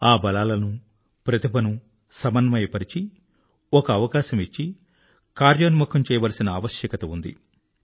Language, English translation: Telugu, The need of the hour is to synergise those strengths and talents, to provide opportunities, to implement them